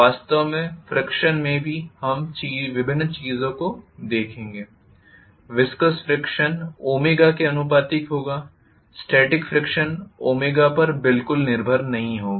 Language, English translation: Hindi, In fact friction itself we will looking at different things, viscous friction will be proportional to omega, static friction will not be dependent upon omega at all